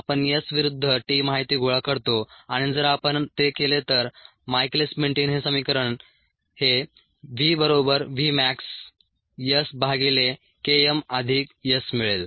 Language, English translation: Marathi, we collect s verses t data and if we do that, the michaelis menten equation is: v equals v mass s by k m plus s